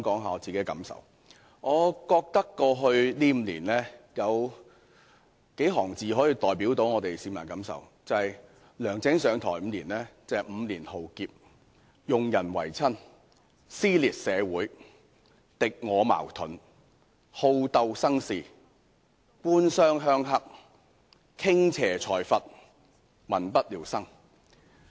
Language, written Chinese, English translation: Cantonese, 我認為過去5年，就是梁振英上台後的5年，市民的感受可以用數行字來代表，就是 ：5 年浩劫、用人唯親、撕裂社會、敵我矛盾、好鬥生事、官商鄉黑、傾斜財閥、民不聊生。, In my view the feelings of the public in the past five years the five years since LEUNG Chun - ying took office can be described with the following phrases five years of calamities prevailing cronyism dissensions in society persisting antagonism inclination to fight and create troubles government - business - rural - triad collusion tilting towards plutocrats and hardships for the people